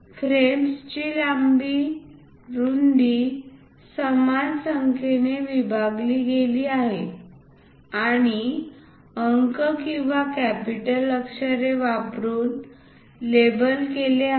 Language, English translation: Marathi, The length and width of the frames are divided into even number of divisions and labeled using numerals or capital letters